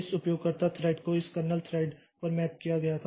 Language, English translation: Hindi, So, at some point of time maybe this thread was mapped to this kernel thread